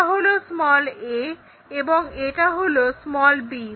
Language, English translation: Bengali, Let us join a 1 and b 1